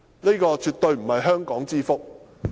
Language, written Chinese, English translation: Cantonese, 這絕對不是香港之福。, This is definitely not a blessing to Hong Kong